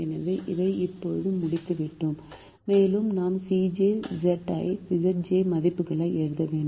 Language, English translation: Tamil, so we have now completed this and we have to write the c j minus z j values